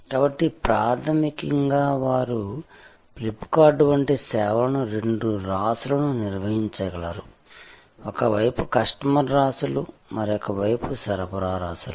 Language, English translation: Telugu, So, fundamentally, they can manage a service like, a FlipKart can manage two constellations, the customer constellations on one side and the supply constellations another side